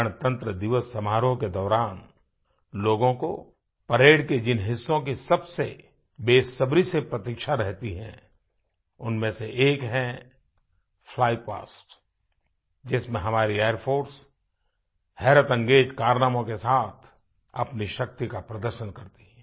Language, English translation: Hindi, One of the notable features eagerly awaited by spectators during the Republic Day Parade is the Flypast comprising the magnificent display of the might of our Air Force through their breath taking aerobatic manoeuvres